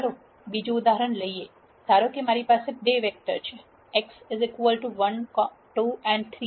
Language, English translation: Gujarati, Let us take another example let us say I have 2 vectors, X 1, 2, 3, transpose and Y is 2, 4, 6